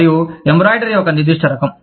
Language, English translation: Telugu, And, the embroidery is of, a specific kind